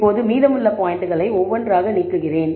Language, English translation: Tamil, Now, I am removing the remaining points one by one